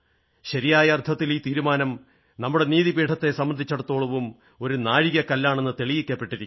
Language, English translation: Malayalam, In the truest sense, this verdict has also proved to be a milestone for the judiciary in our country